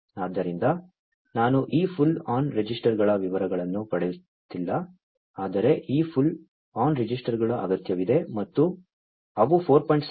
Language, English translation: Kannada, So, I am not getting into the details of these pull on registers, but these pull on registers are required and they operate in the range 4